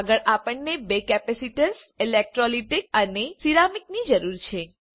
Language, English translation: Gujarati, Next we need two capacitors, electrolytic and ceramic